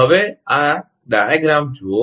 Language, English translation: Gujarati, Now, look at this diagram